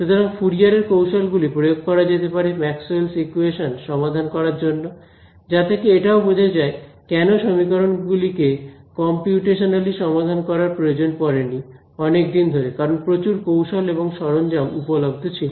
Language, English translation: Bengali, So, Fourier techniques can be applied to solve Maxwell’s equations which also explains why people did not need to solve them computationally for a long time because